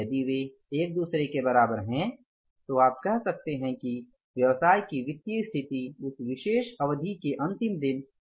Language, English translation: Hindi, If they are equal to each other, then you can say that the financial position of the business is balanced on that last day of that particular period